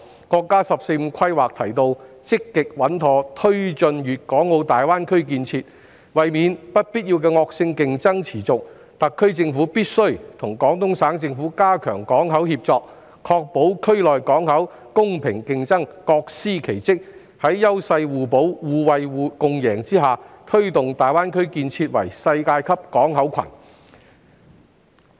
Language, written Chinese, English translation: Cantonese, 國家"十四五"規劃提到"積極穩妥推進粵港澳大灣區建設"，為免不必要的惡性競爭持續，特區政府必須與廣東省政府加強港口協作，確保區內港口是公平競爭，各司其職，在優勢互補、互惠共贏下，推動大灣區建設為世界級港口群。, The National 14th Five - Year Plan has mentioned taking forward GBA development actively and steadily . To avoid unnecessary and persistent vicious competition the SAR Government must strengthen the cooperation on ports with the Guangdong Provincial Government to ensure fair competition among the ports in the region and that each port has its own role to play . By leveraging the complementary strengths of each other to achieve a win - win situation it is hoped that GBA will develop into a world - class port clusters